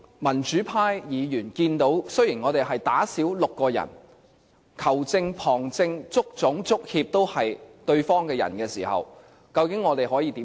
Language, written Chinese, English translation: Cantonese, 民主派議員看到，我們少了6人比賽，而當球證、旁證、足總、足協都是對方的人時，究竟我們可以怎樣做？, As in a football match what democratic Members can see is six of our players are sent off while the referee assistant referees the Hong Kong Football Association and the Asian Football Confederation are all sided with our rival . What can we do then?